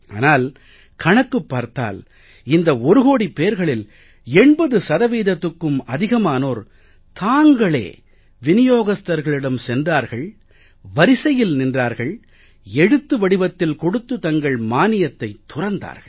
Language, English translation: Tamil, But it has been estimated that more than 80% of these one crore families chose to go to the distributor, stand in a queue and give in writing that they wish to surrender their subsidy